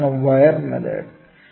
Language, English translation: Malayalam, What is a wire method